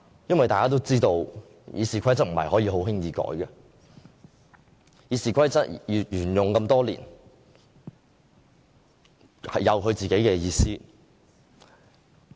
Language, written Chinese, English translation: Cantonese, 因為大家都知道《議事規則》不可以輕易修改，《議事規則》沿用多年，有它自己的意思。, We all understand that we should not lightly subject RoP to amendments . It has been adopted for many years and has its own meanings